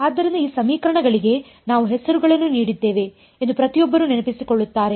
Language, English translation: Kannada, So, everyone remember this we had even given names to these equations